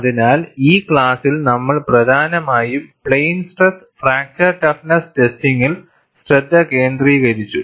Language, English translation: Malayalam, So, in this class, we essentially focused on plane stress fracture toughness testing